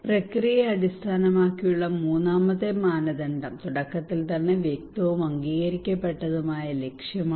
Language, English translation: Malayalam, The third criteria process based is the clear and agreed objective at the outset